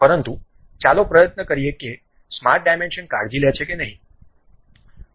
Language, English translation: Gujarati, But let us try whether really the dimension takes care or not